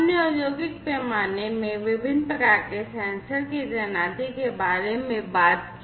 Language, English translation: Hindi, We have talked about the deployment of different types of sensors, in industrial scale